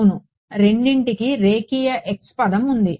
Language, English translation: Telugu, Right both of them has a linear x term